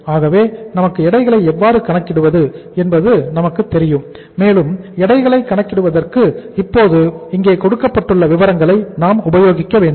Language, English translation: Tamil, So we know that how to calculate the weights and for calculation of the weights we have to now use uh the information given here